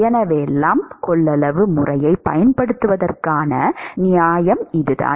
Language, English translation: Tamil, So, this is the justification for using the lumped capacitance method